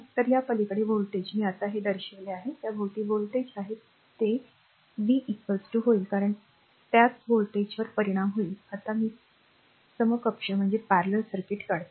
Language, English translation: Marathi, So, voltage across this, just now I showed this, that voltage across this, it will be your v is equal to because same voltage will be impressed across this just now I draw the equivalent circuit